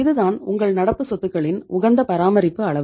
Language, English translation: Tamil, This is your optimum level of maintaining the current assets right